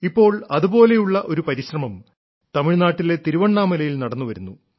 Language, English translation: Malayalam, Now one such effort is underway at Thiruvannamalai, Tamilnadu